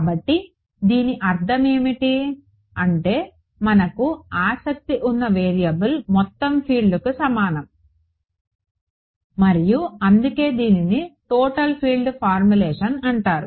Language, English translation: Telugu, So, what does it mean, it means that the variable of interest equals total field and that is why it is called the total field formulation